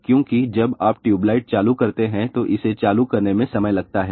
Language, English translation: Hindi, Because when you turn on a tube light, it takes time to turn on